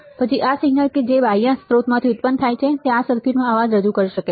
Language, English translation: Gujarati, Then this signal that is generated from this external source may introduce a noise in this circuit